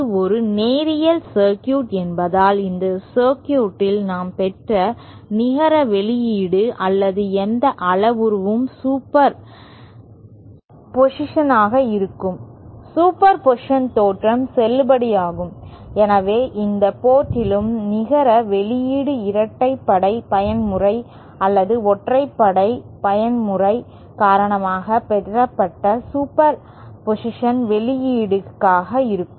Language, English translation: Tamil, And since this is a linear circuit, the net output or any parameter that we obtained in this circuit will be the superposition superposition theorem will be valid and hence the net output at any port will be the superposition of the outputs obtained due to the even mode or the odd mode